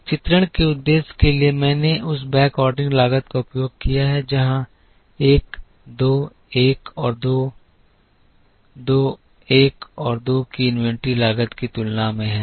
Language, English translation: Hindi, One is for the purpose of illustration I have used that backordering cost here 1 2 1 and 2 are kind of comparable to the inventory cost of 2 2 1 and 2